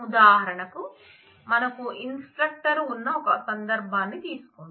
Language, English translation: Telugu, For example, take a case here we have the instructor